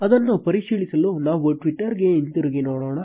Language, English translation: Kannada, Let us go back to twitter to check the same